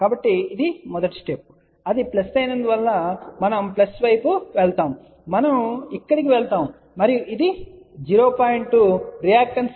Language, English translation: Telugu, So, that is the first type, then since it is plus, we will go plus, we will go up here and this is that reactance 0